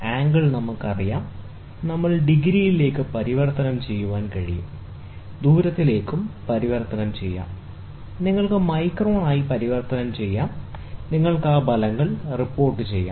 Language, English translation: Malayalam, Moment I know the angle, you can converted into the degrees can be converted into distance, you can converted into microns, and you can report the results